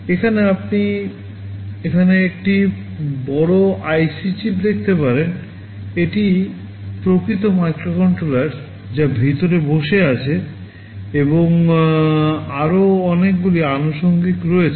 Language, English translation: Bengali, Here you can see a larger IC chip here, this is the actual microcontroller sitting inside and there are many other accessories